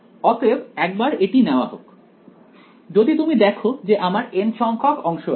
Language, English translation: Bengali, So, let us take once, if you look at I have n segments over here